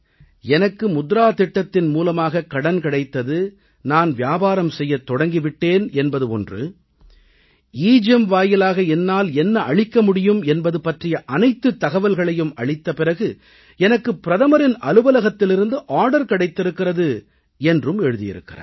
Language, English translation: Tamil, She has written that she got the money from the 'Mudra' Scheme and started her business, then she registered the inventory of all her products on the EGEM website, and then she got an order from the Prime Minister's Office